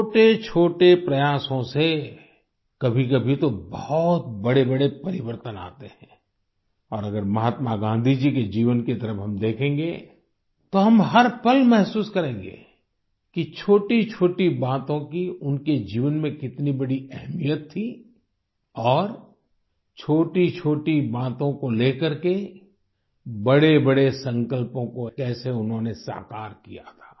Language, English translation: Hindi, Through tiny efforts, at times, very significant changes occur, and if we look towards the life of Mahatma Gandhi ji we will find every moment how even small things had so much importance and how using small issues he accomplished big resolutions